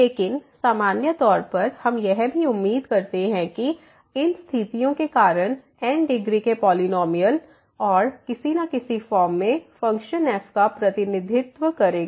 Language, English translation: Hindi, But in general also we expect that because of these conditions that this polynomial of degree and somehow in some form will represent the function